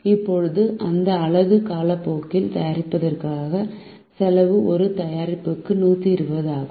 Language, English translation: Tamil, now the cost of making that unit through our time is hundred and twenty per product